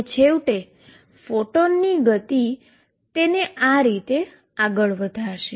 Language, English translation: Gujarati, And therefore, finally, the photon momentum makes it go this way